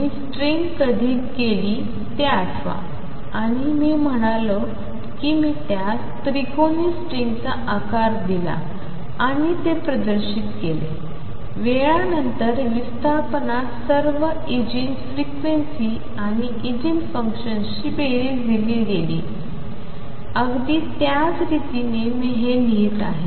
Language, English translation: Marathi, Recall when I did the string and I said if I give it a shape of triangular string and displays it, the with time the displacement was given as a sum of all the eigen frequencies and eigen functions, in exactly the same manner this would I am going to write